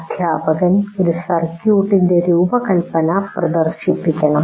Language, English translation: Malayalam, So, the teacher must demonstrate the design of a circuit